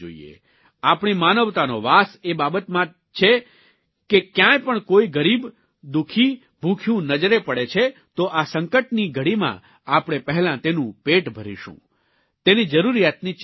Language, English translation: Gujarati, Our humanity stems from the fact that whenever we see a poor or hungry person, we first try and feed him or her in this time of crisis